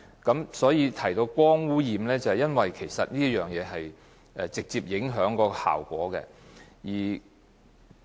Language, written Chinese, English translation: Cantonese, 我提到光污染是因為這直接影響到節能效果。, I mentioned light pollution because it also has a direct impact on energy saving